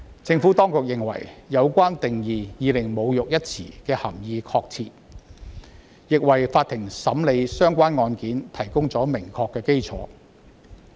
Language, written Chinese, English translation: Cantonese, 政府當局認為，有關定義已令"侮辱"一詞的涵義確切，亦為法庭審理案件提供了明確的基礎。, The Administration considers that this definition already provides certainty to the meaning of the term insult and a clear basis for the court when adjudicating cases